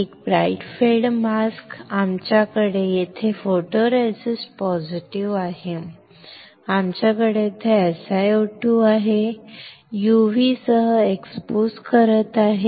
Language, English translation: Marathi, A bright field mask, we have here photoresist positive, we have here SiO2 and I am exposing with UV; I am exposing with UV